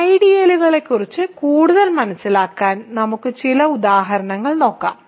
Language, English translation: Malayalam, So, in order to understand more about ideals, let us look at some examples ok